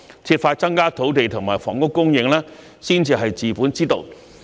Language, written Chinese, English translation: Cantonese, 設法增加土地及房屋供應才是治本之道。, The fundamental solution is to find ways to increase land and housing supply